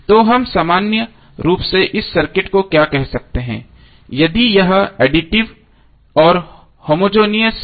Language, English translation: Hindi, So what we can say in general this circuit is linear if it is both additive and homogeneous